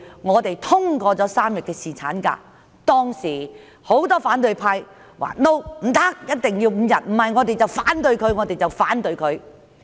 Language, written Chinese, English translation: Cantonese, 我們通過3天侍產假方案時，很多反對派議員說一定要5天，否則會反對方案。, When we passed the three - day paternity leave proposal many opposition Members said that five days must be offered otherwise they would vote against the proposal